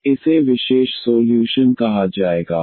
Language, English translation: Hindi, So, that will be called as the particular solution